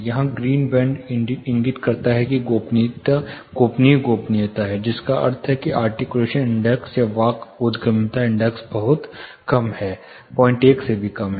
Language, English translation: Hindi, Here the green band indicates there is the confidential privacy, which means the articulation index or speech intelligibility index is pretty much low, less than 0